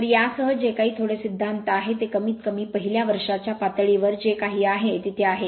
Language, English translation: Marathi, So, with this with this whatever little bit is theory is there at least at least a first year level whatever little bit is there